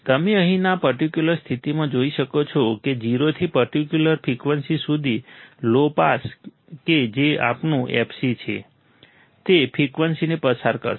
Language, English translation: Gujarati, You can see here in this particular condition low pass from 0 to certain frequency that is our fc, it will pass the frequencies